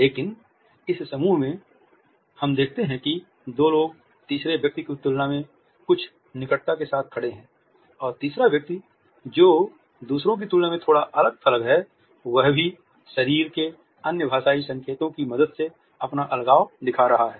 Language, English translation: Hindi, But in this group, we look at the two people are standing with certain closeness in comparison to the third person and the third person who is slightly isolated in comparison to others is also showing his isolation with the help of other body linguistic signs